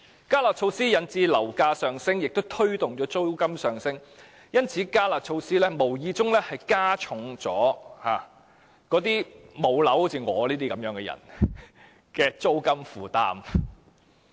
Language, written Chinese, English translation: Cantonese, "加辣"措施引致樓價上升，亦推動了租金上升，因此，"加辣"措施無意中加重了好像我這類"無樓人士"的租金負擔。, The enhanced curb measure has led to a rise in property prices and also pushed up the rents . For this reason the enhanced curb measure has inadvertently made the burden of rents on people who do not own any property like me heavier